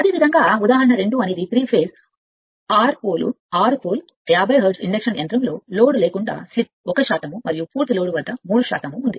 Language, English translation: Telugu, Similarly, example 2 is a 3 phase, 6 pole, 50 hertz induction motor has a slip of 1 percent at no load and 3 percent of full load right